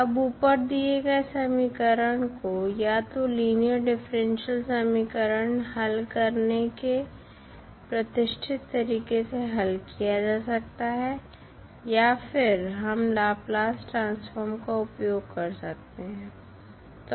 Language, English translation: Hindi, Now, the above equation can be solved using either the classical method of solving the linear differential equation or we can utilize the Laplace transform